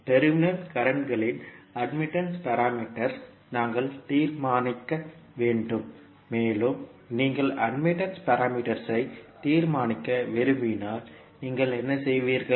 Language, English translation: Tamil, We have to determine the admittance parameter of the terminal currents and when you want to determine the admittance parameter, what you will do